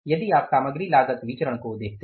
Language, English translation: Hindi, So, what is the material cost variance